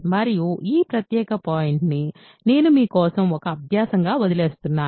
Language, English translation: Telugu, So, and this particular point I leave for you as an exercise